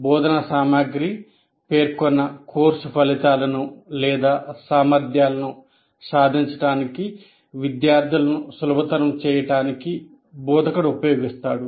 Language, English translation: Telugu, It is what the instructor uses for facilitating the students to achieve the stated course outcomes